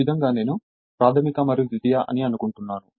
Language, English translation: Telugu, As if this this way I think primary and secondary right